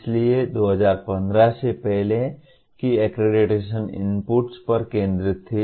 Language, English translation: Hindi, So the accreditation prior to 2015 was the focus was on inputs